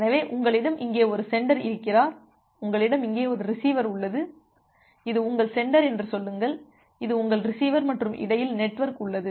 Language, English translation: Tamil, So, you have a sender here, you have a receiver here; say this is your sender, this is your receiver and in between you have the network